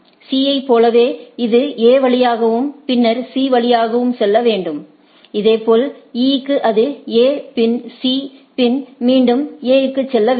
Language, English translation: Tamil, Like from for C it has to go via A and then C, similarly for E it has to go A then C then A